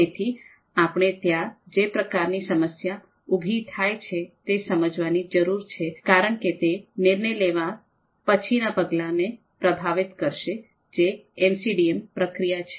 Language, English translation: Gujarati, So we need to understand the type of problem that is going to be there because that is going to influence the steps later on the later steps of the decision making, this MCDM process